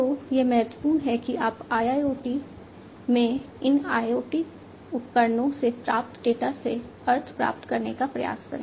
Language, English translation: Hindi, So, what is important is that you try to gain meaning out of the data that you receive from these IoT devices in IIoT, right